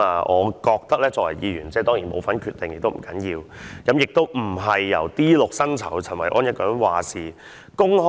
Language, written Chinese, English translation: Cantonese, 我作為議員，雖然不能參與決定，不要緊，但亦並非由 D6 薪酬的陳維安一個人有話事權。, As a Member although I am unable to participate in decision - making and that is fine to me the decision should not be solely left in the hands of Mr Kenneth CHEN who is at D6 of the Directorate pay scale